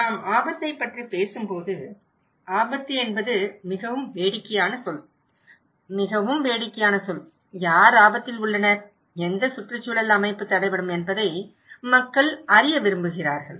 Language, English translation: Tamil, When we are talking about risk, risk is a very funny word, very very funny word; people want to know that who is at risk, what ecosystem will be hampered